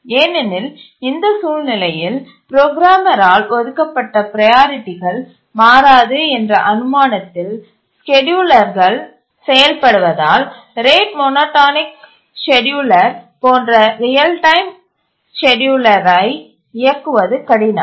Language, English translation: Tamil, Because in this situation it becomes difficult to run a real time scheduler like RET monotonic scheduler because the scheduler works on the assumption that the programmer assigned priorities don't change